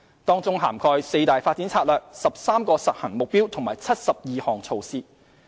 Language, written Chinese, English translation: Cantonese, 當中涵蓋四大發展策略、13個實行目標及72項措施。, This includes four major development strategies 13 implementation goals and 72 measures